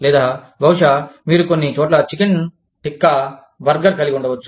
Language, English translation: Telugu, Or, maybe, you could have, the chicken tikka burger, in some places